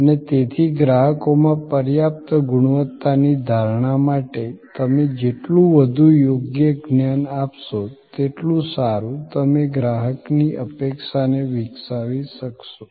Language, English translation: Gujarati, And therefore for adequate quality perception in customers mind the more appropriate knowledge you share the better you shape customer expectation